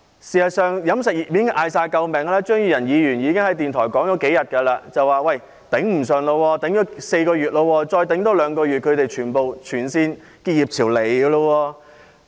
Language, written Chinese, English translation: Cantonese, 事實上，飲食業已經大叫救命，張宇人議員在電台節目上說，業界已經撐了4個月，再多撐兩個月的話，全線結業潮便會出現。, In fact the catering industry has already screamed for help . Mr Tommy CHEUNG has said on a radio programme that the industry has been going through hard times for four months and there will be a tide of closures throughout the industry if the misery lasts for two more months